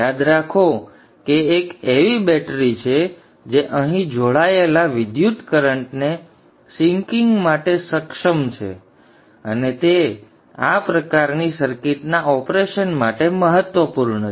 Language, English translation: Gujarati, Recall that there is a battery that there is a battery which is capable of sinking current connected here and that is important for the operation of these type of circuits